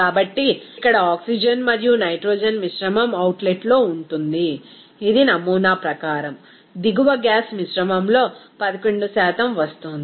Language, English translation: Telugu, So, here oxygen and nitrogen mixture is at the outlet that per the sample, it is coming 11% in the downstream gas mixture